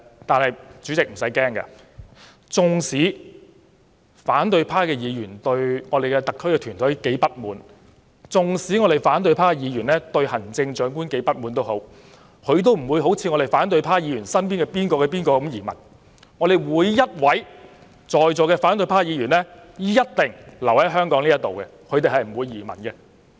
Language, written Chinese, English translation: Cantonese, 但主席無須擔憂，縱使反對派議員對特區政府團隊及行政長官如何不滿，他們也不會像反對派議員身邊的某某一樣移民；席上每位反對派議員一定會留在香港，不會移民。, It is no cause for concern though President . For whatever grievances they harbour against the SAR government team and the Chief Executive they will not emigrate as a certain acquaintance around a certain Member of the opposition camp has done . Instead of emigrating every Member of the opposition camp present in this Chamber will stay in Hong Kong